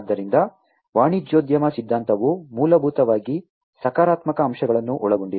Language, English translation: Kannada, So, the entrepreneurship theory, basically encapsulates the positive aspects